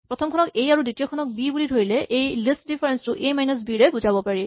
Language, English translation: Assamese, So, if this is A, and this is B, then this is so called list difference A minus B